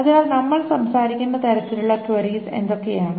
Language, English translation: Malayalam, So what are the kinds of queries that we are talking about